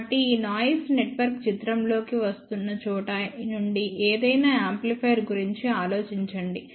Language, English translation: Telugu, So, from where this noisy network is coming into picture think about any amplifier